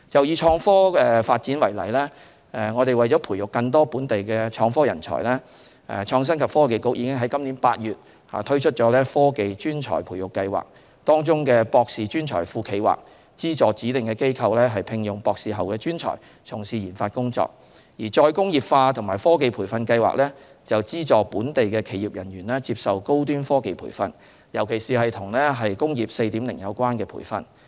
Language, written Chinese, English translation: Cantonese, 以創科發展為例，為培育更多本地創科人才，創新及科技局已於本年8月推出"科技專才培育計劃"，當中的"博士專才庫"計劃，資助指定機構聘用博士後專才從事研發工作，而"再工業化及科技培訓計劃"，則資助本地企業人員接受高端科技培訓，尤其是與"工業 4.0" 有關的培訓。, We may take IT development as an example . In order to nurture more local IT personnel in August this year the Innovation and Technology Bureau launched a Technology Talent Scheme under which the Postdoctoral Hub Programme aims at providing funding support for designated institutions to recruit postdoctoral talents for scientific research and development while the Reindustrialisation and Technology Training Programme aims at subsidizing local companies to train their staff in advanced technologies especially those related to Industry 4.0